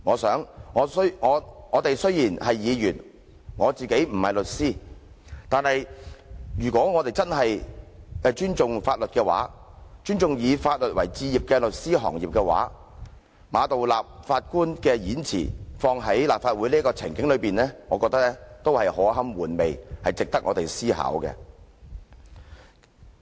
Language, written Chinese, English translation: Cantonese, "雖然我們是議員，而我亦不是律師，但如果我們真的尊重法律、尊重以法律為志業的律師行業，將馬道立首席法官的演辭應用於立法會這個情境中，也是可堪玩味，值得我們思考。, Although we are Members and I am not a lawyer if we really respect the law and respect the legal profession practising law we should reflect upon the remarks made by Chief Justice Geoffrey MA if they are to apply to the Legislative Council